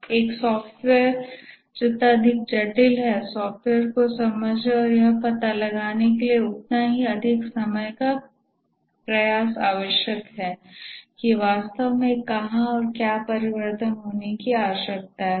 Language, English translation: Hindi, The more complex is a software, the more time effort is necessary to understand the software and find out where exactly and what change needs to occur